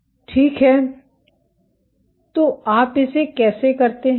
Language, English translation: Hindi, So, how do you go about doing this